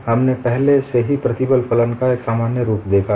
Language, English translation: Hindi, We have already seen a generic form of stress function